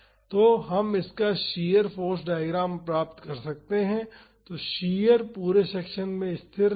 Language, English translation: Hindi, So, we can find the shear force diagram of this so, the shear will be constant throughout the section